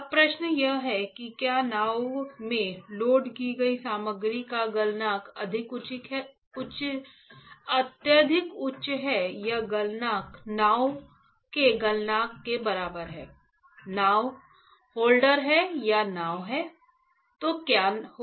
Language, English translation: Hindi, Now, the question is if the material that is loaded into the boat has an extremely high melting point or is melting point is equivalent to the melting point of the boat; boat is a holder this is a boat ok, then what will happen